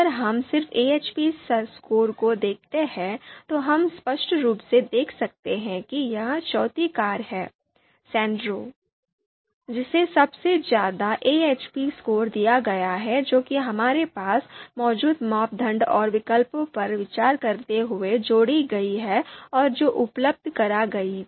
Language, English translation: Hindi, So we just look at the AHP scores, you know we can clearly see that it is the fourth car you know Sandero which has been given the highest AHP scores given the criteria and given the you know alternatives that we have and the pairwise comparisons that were provided